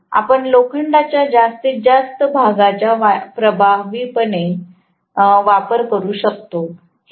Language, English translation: Marathi, But we would like to utilize the maximum portion of the iron effectively